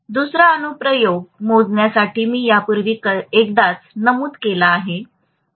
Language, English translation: Marathi, Another application is for measurement I mentioned about this already once